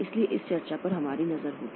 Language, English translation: Hindi, So, that will have a look in this discussion